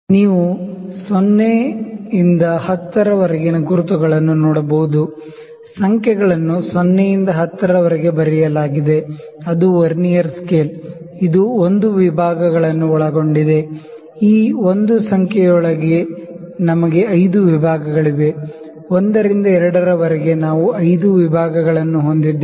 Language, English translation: Kannada, You can see the markings from 0 to 10, the numbers are written from 0 to 10 which is a Vernier scale and within 1 within this 1 division, not 1 division within this 1 number from 0 to 1, we have 5 divisions; from 1 to 2 we will have 5 divisions